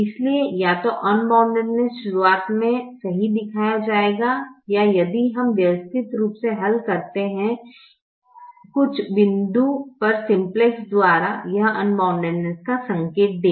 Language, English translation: Hindi, so either unboundedness will be shown right at the beginning or, if we systematically solve it by simplex, at some point it will indicate unboundedness